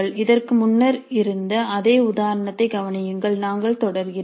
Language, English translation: Tamil, Notice this is the same example which we had earlier we are continuing